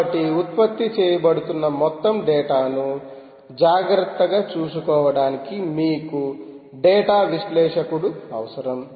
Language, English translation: Telugu, so you need data analyst to take care of all the data that is being generated